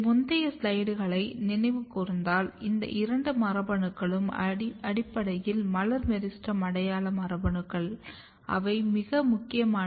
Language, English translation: Tamil, So, if you recall previous slides then you will realize that these two genes which are basically floral meristem identity genes they are very important AP1 and LEAFY